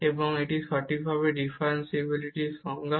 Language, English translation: Bengali, And that is precisely the definition of the differentiability